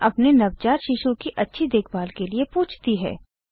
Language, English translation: Hindi, And asks for her advice on taking better care of her newborn baby